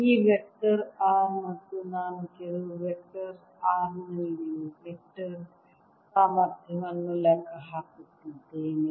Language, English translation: Kannada, this vector is r and i am calculating the vector potential at sum vector r